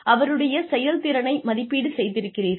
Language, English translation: Tamil, You have assessed their performance